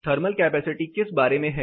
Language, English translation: Hindi, What is a thermal capacity all about